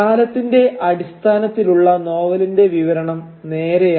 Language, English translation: Malayalam, And the narrative of the novel in terms of time is pretty straightforward